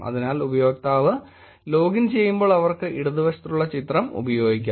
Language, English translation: Malayalam, So when the user logged in they took the picture that on the left